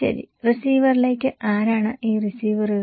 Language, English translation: Malayalam, Okay, to the receiver, and who are these receivers